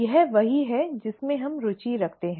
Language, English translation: Hindi, This is what we are interested in